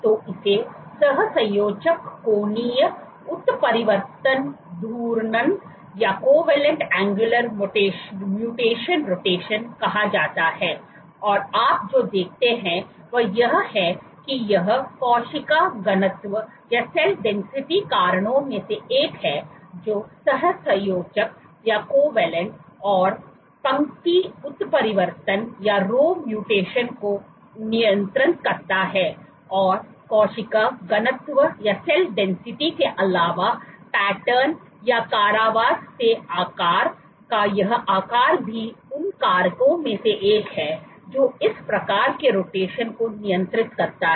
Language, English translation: Hindi, So, this is called covalent angular mutation rotation and what you see, so this, cell density is one of the factors which regulates covalent and row mutation apart from cell density just this size of the pattern or confinement size is also one of the factors which regulates this kind of rotation